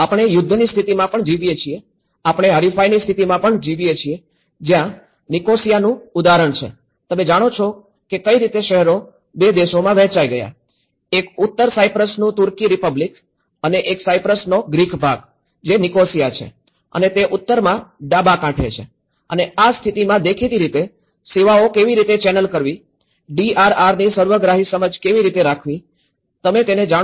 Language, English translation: Gujarati, We are also living in the state of wars, we are living in the state of contestation that is where an example of Nicosia, you know how a cities broken into 2 countries, this belongs to two countries; one is the Turkish Republic of North Cyprus and Greek part of the Cyprus which is a Nicosia and the left coast side in the north and in this conditions obviously, how to channel the services, how to have a holistic understanding of DRR, you know whether it is the natural made or a man made disasters, how we need to have bring back consent